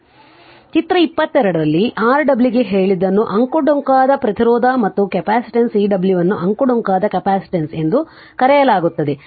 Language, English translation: Kannada, So, in figure 22 that that I told you Rw is called winding resistance and capacitance Cw is called the winding capacitance right